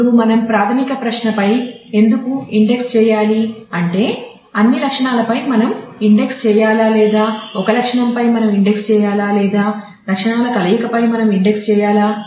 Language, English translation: Telugu, Now, if we I mean why what should we index on the basic question is should we index on all attributes should we index on one attribute should we index on combination of attributes